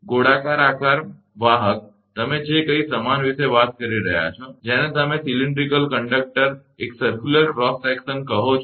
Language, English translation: Gujarati, round shape conductor, your whatever you are talking about the uniform, your what you call the cylindrical conductor, a circular cross section